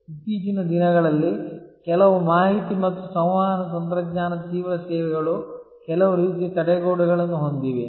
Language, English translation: Kannada, There are nowadays some information and communication technology intensive services which have some kind of barrier